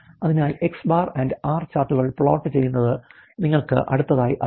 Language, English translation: Malayalam, So, plotting the X and R charts is the next you know machine